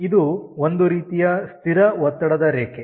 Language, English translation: Kannada, this is some sort of a constant pressure line